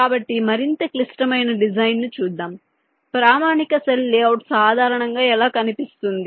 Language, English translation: Telugu, right, fine, so lets look at a more complex design, how a standard cell layout typically looks like